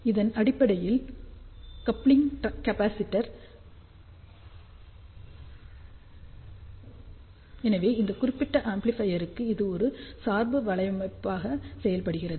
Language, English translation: Tamil, Now, these are basically the coupling capacitor, so for this particular amplifier this acts as a biasing network